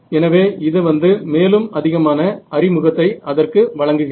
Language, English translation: Tamil, So, this is just by means of giving some introduction to it